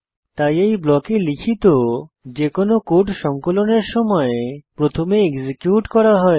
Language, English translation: Bengali, So, any code written inside this block gets executed first during compilation